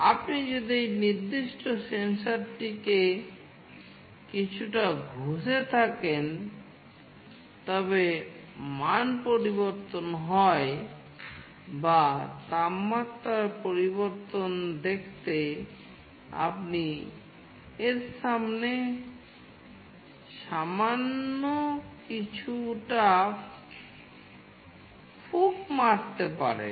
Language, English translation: Bengali, If you rub this particular sensor a bit, the value changes or you can just blow a little bit in front of it to see the change in temperature